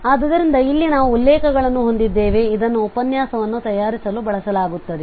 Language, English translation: Kannada, So here we have the references, which are used for preparing the lecture